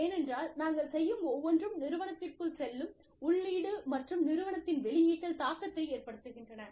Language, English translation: Tamil, Because, everything we do, has an impact on the input, that goes into the organization, and the output of the organization